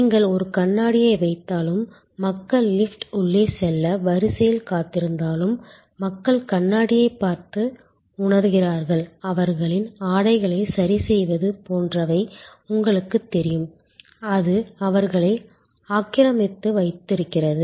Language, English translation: Tamil, It has been observe that, even if you just put a mirror, where people wait to in queue to get in to the elevator, people look in to the mirror and feel, you know adjust their dresses, etc, that keeps them occupied and that queue is better managed